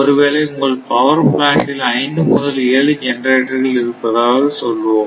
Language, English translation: Tamil, Suppose in a power plant you may have 5 6 or 7 generators say